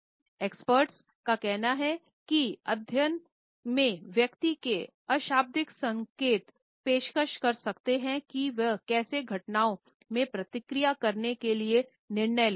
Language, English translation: Hindi, Expert says study in a person’s nonverbal cues can offer insight into how they make decisions in react to events